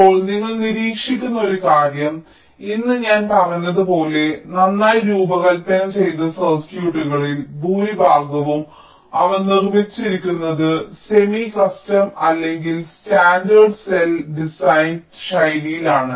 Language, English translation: Malayalam, now, one thing you observe is that today, as i had said earlier, most of the well assigned circuits that are that are manufactured, they are based on the semi custom or the standard cell designed style